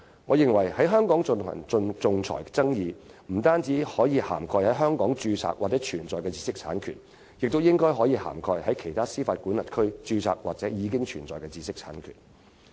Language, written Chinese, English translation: Cantonese, 我認為，在香港進行仲裁的爭議不單可涵蓋在香港註冊或存在的知識產權，亦應可涵蓋在其他司法管轄區註冊或已存在的知識產權。, In my view dispute arbitration in Hong Kong may cover intellectual property rights which are registered or exist in not only Hong Kong but also other jurisdictions